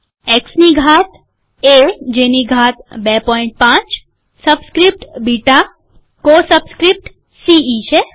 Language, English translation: Gujarati, X to the power, A to the power 2.5, subscript beta, co subscript is ce